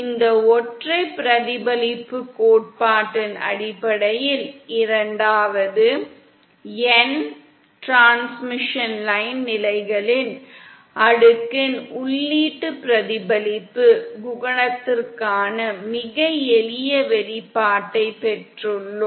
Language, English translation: Tamil, And the second based on this single reflection theory we have obtained a very simple expression for the input reflection coefficient of the cascade of n transmission line stages